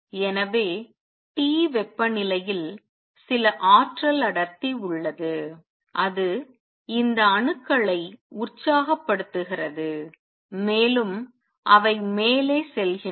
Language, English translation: Tamil, So, at temperature T there exists some energy density and that makes these atoms excite and they go up